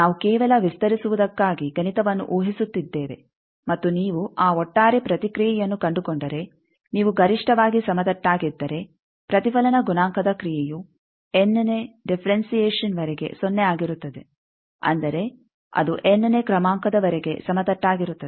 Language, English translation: Kannada, We are assuming mathematics just to expand and if you find that the overall response, if you maximally flat means up to any differentiation of the reflection coefficient function that will be 0, that means, it will be flat up to nth order